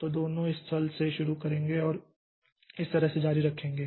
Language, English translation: Hindi, So, both of them will start from this point and continue like this